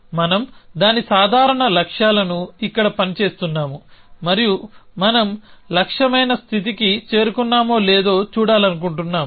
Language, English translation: Telugu, We are working its simple goals here and we want to see whether we have reach the state which is the goal or not